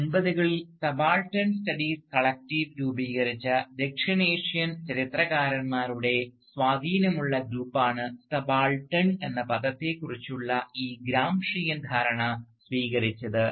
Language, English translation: Malayalam, Now, this Gramscian understanding of the term subaltern was taken up by the influential group of South Asian historians who formed the Subaltern Studies Collective in the 1980’s